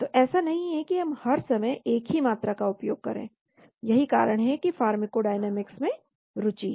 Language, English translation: Hindi, So it is not that we all the time use the same concentration, that is why there is an interest in the pharmacodynamics